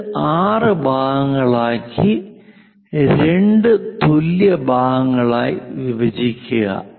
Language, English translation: Malayalam, We have to divide that into three equal parts